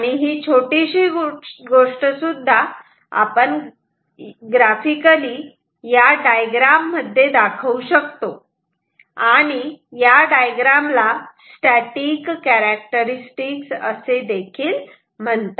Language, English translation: Marathi, The small fact can also be represent it graphically pictorially with this diagram and this diagram we called we call it static characteristic